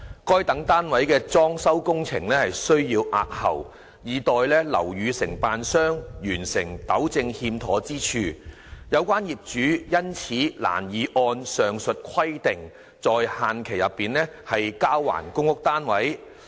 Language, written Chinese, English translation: Cantonese, 該等單位的裝修工程需押後，以待樓宇承建商完成糾正欠妥之處，有關業主因此難以按上述規定在限期內交還公屋單位。, Renovation works for those flats have to be postponed pending completion of the rectification of the defects by the building contractor